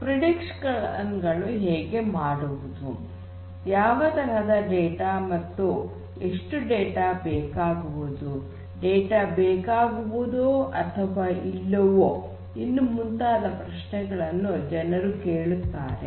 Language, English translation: Kannada, How you make these predictions; what kind of data how much of data; whether data will at all be required or not